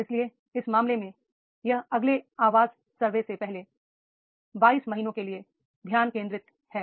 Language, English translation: Hindi, So therefore in that case, this focus for the next 22 months before the next Vices survey is there